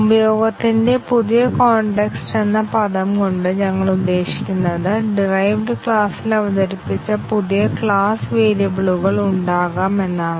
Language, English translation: Malayalam, By the term the new context of use, what we mean is that there can be new class variables introduced in the derived class